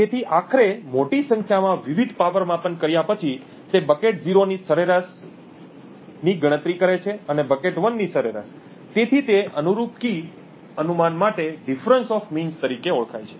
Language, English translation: Gujarati, So eventually after doing this over large number of different power measurements he computes the average of bucket 0 and the average of bucket 1, so this is known as the difference of means for that corresponding key guess